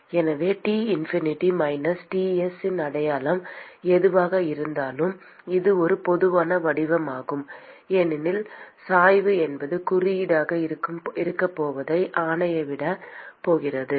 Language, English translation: Tamil, So this is a general form, irrespective of what is the sign of T infinity minus Ts because the gradient is what is going to dictate what is going to be the sign